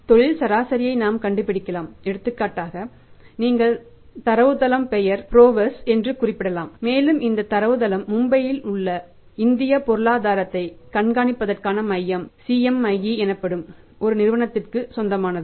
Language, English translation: Tamil, So, we can find out the industry average for example you can refer to the database of the database name is PROWESS and this the database is owned by a company called as CMI Centre for monitoring Indian economy, Mumbai